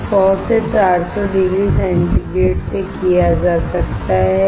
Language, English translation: Hindi, This can be done from 100 to 400 degree centigrade